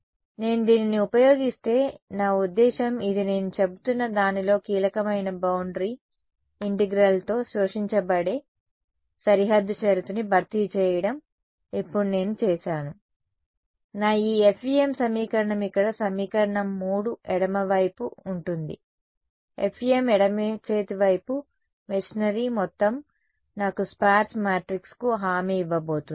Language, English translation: Telugu, So, if I use this is I mean this is the key of what I am saying replacing the absorbing boundary condition by a boundary integral now what I have done is, my this FEM equation over here equation 3 the left hand side is the entire machinery of FEM left hand side is what is going to guarantee a sparse matrix for me